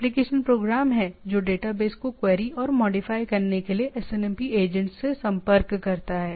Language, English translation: Hindi, There is the application program that contacts the SNMP agents to query and modify the database